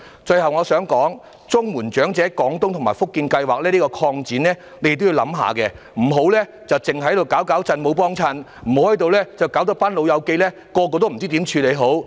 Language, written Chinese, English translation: Cantonese, 最後，我想說，就綜援長者廣東及福建省養老計劃，政府也應作仔細周詳的考慮，不要只是"搞搞震，沒幫襯"，而令有關長者不知如何處理。, Lastly I wish to mention that as regards the Portable Comprehensive Social Security Assistance Scheme the Government should likewise make careful and prudent consideration instead of messing around without constructive actions so as not to make the elderly persons affected not knowing how to deal with it